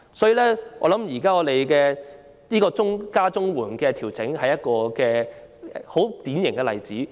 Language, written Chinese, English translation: Cantonese, 今次提高領取長者綜援年齡的調整，我認為正是一個典型例子。, In my view the upward adjustment of the eligibility age for elderly CSSA this time around is a typical example